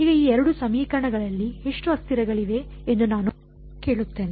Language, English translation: Kannada, Now, let me ask you how many variables are there in these 2 equations